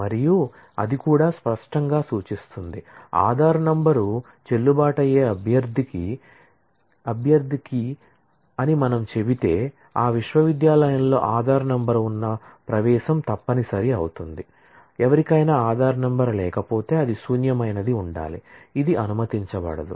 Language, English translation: Telugu, And, so that clearly also implies that, if we say that Adhaar number is a valid candidate key that will mean that for admission to that university having Adhaar number, would be mandatory, if somebody does not have a Adhaar number that will have to be null, which is not allowed